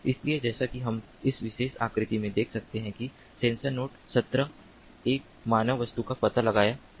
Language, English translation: Hindi, so, as we can see in this particular figure, that node number seventeen has seen, has sensed a particular object, the human object